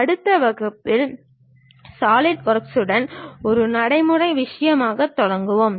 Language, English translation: Tamil, And in the next class, we will begin with Solidworks as a practice thing